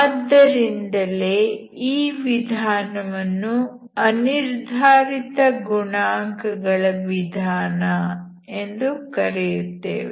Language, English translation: Kannada, So I will explain the method of undetermined coefficient